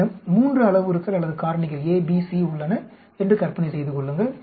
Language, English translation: Tamil, Imagine I have three parameters or factors A, B, C so 2 raise to the power three design